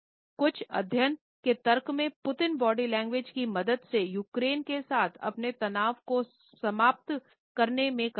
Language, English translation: Hindi, Some argues study in Putin’s body language could help to terminate his intensions in Ukraine